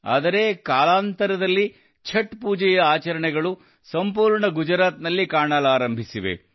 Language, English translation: Kannada, But with the passage of time, the colors of Chhath Puja have started getting dissolved in almost the whole of Gujarat